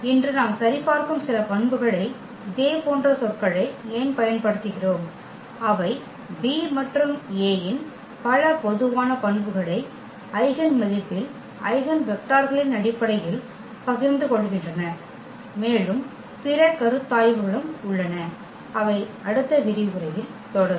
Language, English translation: Tamil, Why do we use the similar words some of the properties we will check today itself, that they share away many common properties this B and A in terms of the eigenvalues, eigenvectors and there are other considerations as well which we will continue in the next lecture